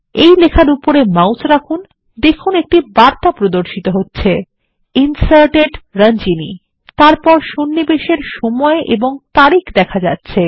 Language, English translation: Bengali, Hover the cursor over it and we see the message Deleted Ranjani: followed by date and time of deletion